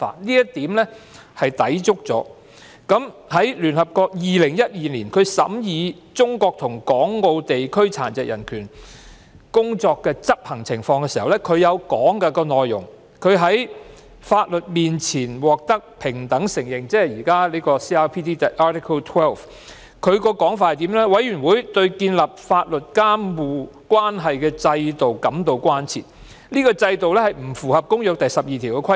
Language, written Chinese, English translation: Cantonese, 2012年，聯會國殘疾人權利委員會審議中國及港澳地區殘疾人權工作的執行情況，相關文件提到"在法律面前獲得平等承認"，即 CRPD 第十二條，亦提到"委員會對建立法律監護關係的制度感到關切，該制度不符合《公約》第十二條的規定。, In 2012 the United Nations Committee on the Rights of Persons with Disabilities reviewed the implementation of the rights of persons with disabilities in China Hong Kong and Macao . In the relevant paper equal recognition before the law ie . Article 12 of the Convention was mentioned